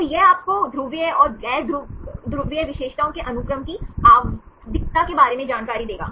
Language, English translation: Hindi, So, this will give you the information regarding periodicities of the polar and non polar characteristics of sequence